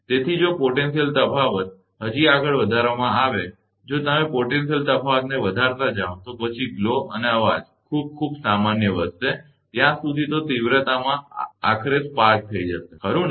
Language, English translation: Gujarati, So, if the potential difference is raised still further, if you go on increasing the potential difference, then the glow and noise will increase very, very common right, in intensity until, eventually a spark over will take place, right